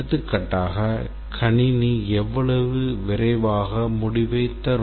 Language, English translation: Tamil, For example, how fast the system should produce result